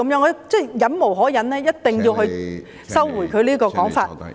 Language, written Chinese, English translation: Cantonese, 我實在忍無可忍，我一定要他收回這個說法......, I just cannot stand his accusation . He must retract what he said